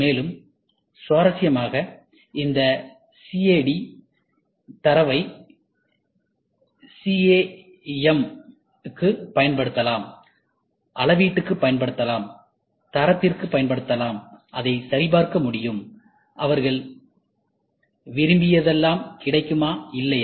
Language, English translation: Tamil, And interestingly, this CAD data can be used for CAM, can be used for measurement, can be used for quality, it can be validated, whatever they wanted is it available or not